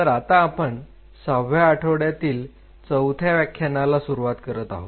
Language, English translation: Marathi, So, we are into the week 6 and we are starting our fourth lecture